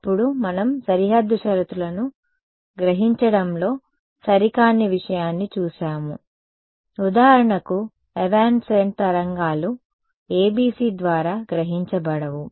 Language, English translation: Telugu, Then we looked at the inaccuracy of absorbing boundary conditions for example, evanescent waves are not absorbed by ABC